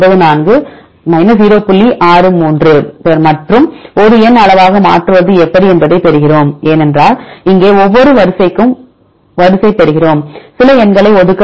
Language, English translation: Tamil, 63 and so on how to convert into a numerical scale, because here we get sequence for each sequence we need to assign some numbers